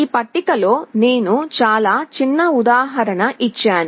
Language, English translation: Telugu, In this table I have given a very small example